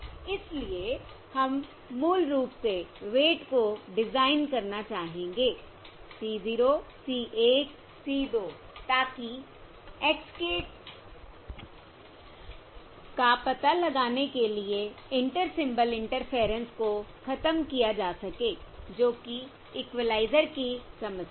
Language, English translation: Hindi, So we would like design the weights basically c 0, c 1, c 2, so as to eliminate the Inter Symbol Interference for the detection of x k